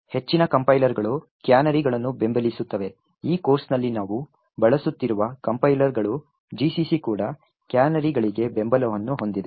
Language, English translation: Kannada, Most of the compilers support canaries, the compilers that we are using in this course that is GCC also, has support for canaries